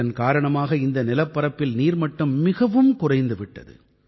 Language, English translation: Tamil, Because of that, the water level there had terribly gone down